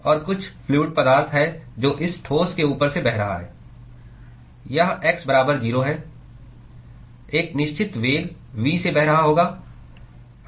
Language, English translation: Hindi, And there is some fluid which is flowing past this solid this is x is equal to 0 will be flowing at a certain velocity V